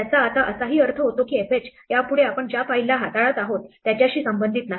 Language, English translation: Marathi, It also now means that fh is no longer associated with the file we are dealing with